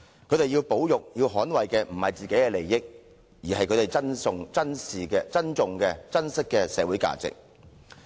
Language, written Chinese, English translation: Cantonese, 他們要捍衞的不是自己的利益，而是他們珍惜的社會價值。, They did not rise to defend their personal interests but to defend social values that they treasure